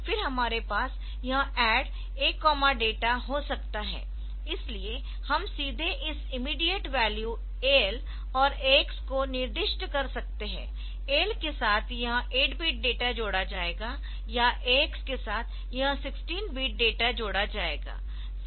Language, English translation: Hindi, And we can have this ADD A comma data, so directly we can specify this immediate value AL and AX with AL this 8 bit data will be added or with AX this 16 bit data will be added